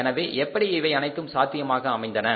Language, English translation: Tamil, So, how this has all become possible